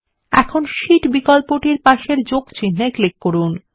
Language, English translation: Bengali, Now, click on the plus sign next to the Sheet option